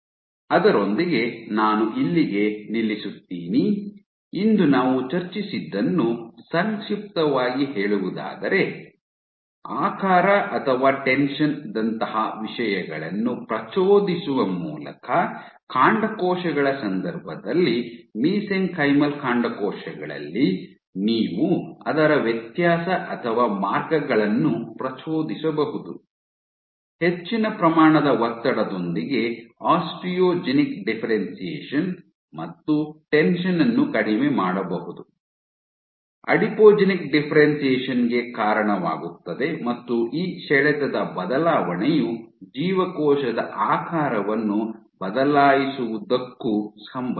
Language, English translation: Kannada, So, with that I will stop here, to summarize what we discuss today we showed that, in case of stem cells, in mesenchymal stem cells by perturbing things like shape or tension you can perturb its differentiation perturb or pathways, with more amount of tension leading to an Osteogenic differentiation and lowering of tension leading to Adipogenic differentiation and this changing of tension is also associated with changing of the cell shape